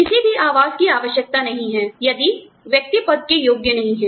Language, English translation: Hindi, No accommodation is required, if the individual is not, otherwise, qualified for the position